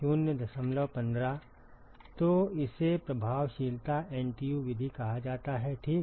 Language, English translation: Hindi, So, it is called the effectiveness NTU method ok